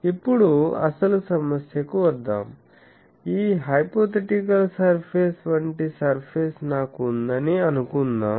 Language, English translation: Telugu, Now, let us come to the actually actual problem; is let us say that I have a surface like this hypothetical surface